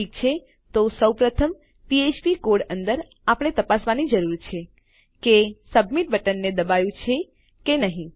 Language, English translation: Gujarati, Okay so first of all inside our php code we need to check whether the submit button has been pressed